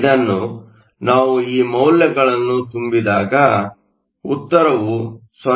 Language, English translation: Kannada, This we can substitute and the answer is 0